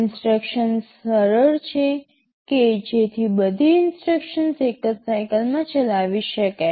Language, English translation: Gujarati, Instructions are simple so that all instructions can be executed in a single cycle